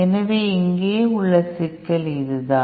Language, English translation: Tamil, So this is the problem here